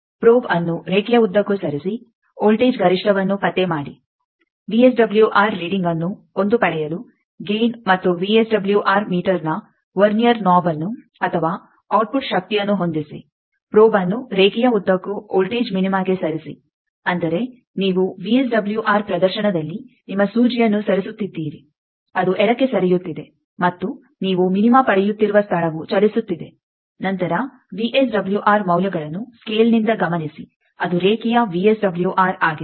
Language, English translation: Kannada, Move the probe along line locate voltage maximum, adjust Gain and Vernier knob of VSWR meter or output power to obtain a VSWR reading one move the probe along the line to a voltage minima; that means, you are moving your needle is on the VSWR display is moving left and the point where you are getting minima then note the VSWR values from scale that is the VSWR of the line